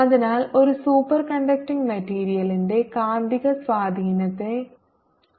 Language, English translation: Malayalam, so the value of magnetic susceptibility of a superconducting material is minus one